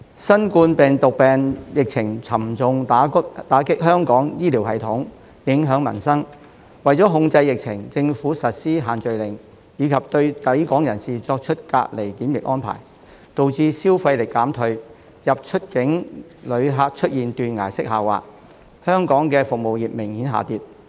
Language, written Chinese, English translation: Cantonese, 新冠病毒病疫情沉重打擊香港醫療系統、影響民生，為了控制疫情，政府實施限聚令及對抵港人士作出隔離檢疫安排，導致消費力減退，入、出境旅客出現斷崖式下滑，而香港的服務業明顯下跌。, The COVID - 19 epidemic has dealt a severe blow to Hong Kongs healthcare system and affected peoples livelihood . In order to control the epidemic the Government has implemented the No - gathering Order and quarantine measures for people arriving in Hong Kong resulting in a decline in spending power a sharp fall in inbound and outbound visitors and a significant drop in Hong Kongs service industry